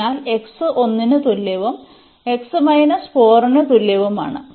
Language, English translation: Malayalam, So, x is equal to 1 and x is equal to minus 4